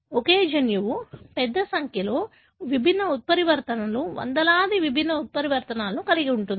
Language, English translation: Telugu, The same gene would have a large number of different mutations, hundreds of different mutations